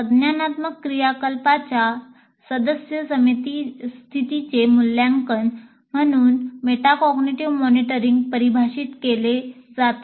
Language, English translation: Marathi, A metacognitive monitoring is defined as assessing the current state of cognitive activity